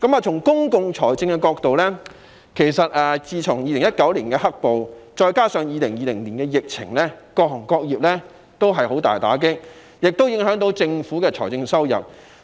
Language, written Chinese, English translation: Cantonese, 從公共財政的角度，自從2019年出現"黑暴"，再加上2020年的疫情，各行各業受到嚴重打擊，政府的財政收入亦受到影響。, From the perspective of public finance black - clad violence in 2019 and the epidemic situation in 2020 have dealt serious blow to various industries and sectors and the fiscal revenues of the Government have also been affected